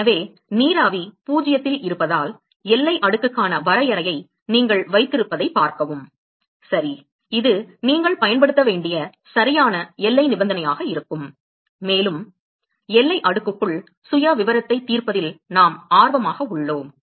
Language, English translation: Tamil, So, that is why see you have a definition for the boundary layer right because the vapor is at 0, this will be the correct boundary condition that you have to use and simply because we are interested in solving the profile inside the boundary layer